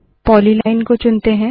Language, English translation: Hindi, Let us select the polyline